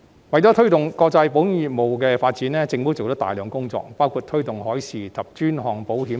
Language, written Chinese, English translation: Cantonese, 為推動國際保險業務的發展，政府做了大量工作，包括推動海事及專項保險等。, In order to push forward the development of international insurance business a lot has been done by the Government which include promoting marine insurance and specialty insurance etc